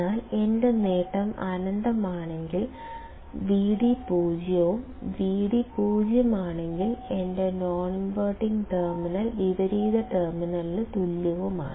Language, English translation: Malayalam, But if my gain is infinite, then Vd will be 0 and if Vd is 0, that means, my non inventing terminal is same as the inverting terminal